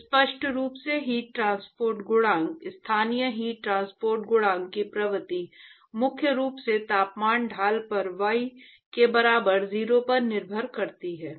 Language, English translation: Hindi, So, clearly the heat transport coefficient, the nature of local heat transport coefficient depends primarily on the temperature gradient at y equal to 0